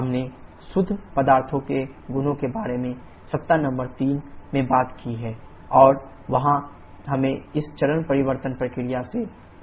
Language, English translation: Hindi, we have talked in week number 3 about the properties of pure substances and there we were introduced to this phase change process